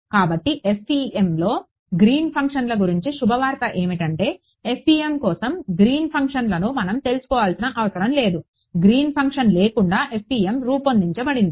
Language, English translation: Telugu, So, the good news about Green’s functions in FEM is that not there, we do not need to know Green’s functions for FEM in fact, FEM is formulated without Green’s function